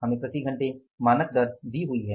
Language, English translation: Hindi, We are given the standard rate per hour